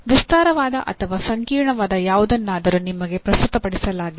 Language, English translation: Kannada, Something may be elaborate or complex is presented to you